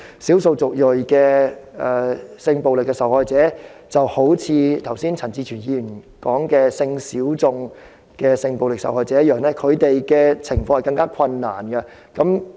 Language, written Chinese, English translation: Cantonese, 少數族裔的性暴力受害者便一如陳志全議員剛才所提及的性小眾性暴力受害者般，他們面對的情況更困難。, Ethnic minority victims of sexual violence are like sexual minority victims of sexual violence mentioned by Mr CHAN Chi - chuen just now and they have faced even more difficulties